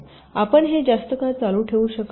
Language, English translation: Marathi, you cannot continue this for long